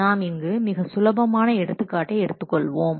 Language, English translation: Tamil, Let's take a small example, see, like this